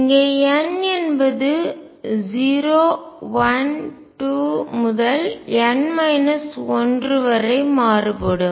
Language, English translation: Tamil, n varies from 0 1 2 up to N minus 1